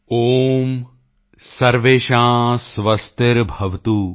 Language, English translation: Punjabi, Om Sarvesham Swastirbhavatu